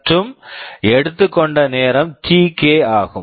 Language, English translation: Tamil, And the time taken is Tk